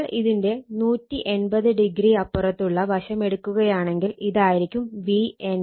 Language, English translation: Malayalam, So, if you make 180 degree other side, this is my V n b, this is my V n b